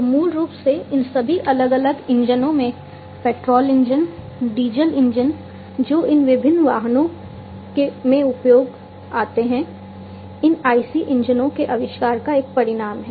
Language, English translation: Hindi, So, basically all these different engines the petrol engines, the diesel engines, that these different vehicles use are a result of the invention of these IC engines